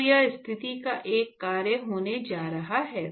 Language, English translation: Hindi, So, that is going to be a function of position